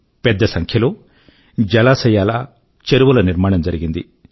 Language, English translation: Telugu, A large number of lakes & ponds have been built